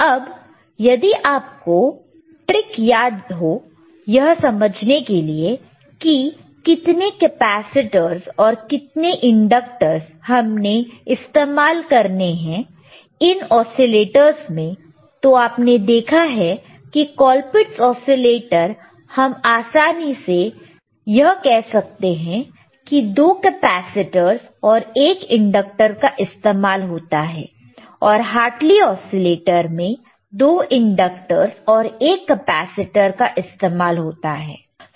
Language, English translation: Hindi, Now, if you remember our trick to understand how many capacitors and how many inductors you have to use, in which oscillator, you have been sseen that in a Ccolpitts oscillator you can easily say that it iswas 2 capacitors and, 1 inductor right, while in Hartley oscillator there were 2 inductors and 1 capacitor